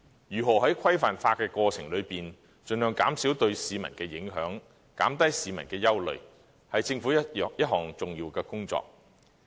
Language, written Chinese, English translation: Cantonese, 如何在規範化的過程中，盡量減少對市民的影響，減低市民的憂慮，是政府一項重要的工作。, In the process of regulating such columbaria how to minimize the impact on the public and alleviate their concerns will be an important task of the Government